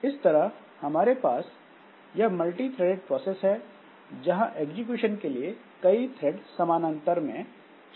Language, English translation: Hindi, So, we have got this multi threaded, we have got this multi threaded processes where there can be multiple threads of execution which are going on parallel across all of them, across all the threads